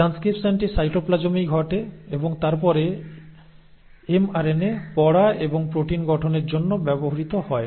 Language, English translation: Bengali, So the transcription happens in the cytoplasm itself and then the mRNA is read and is used for formation of proteins